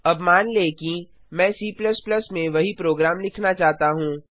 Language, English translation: Hindi, Now suppose, I want to write the same program in C++